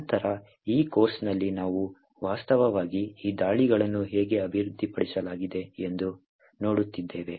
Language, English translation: Kannada, Later on, in this course we will be actually looking how these attacks are actually developed